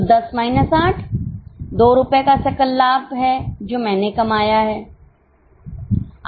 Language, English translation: Hindi, So, 10 minus 8, 2 rupees per unit basis is your contribution